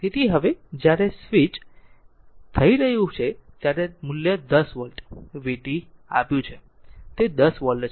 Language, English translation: Gujarati, So, now when it is switching on it is a value has given 10 volt, v t right, it is a 10 volt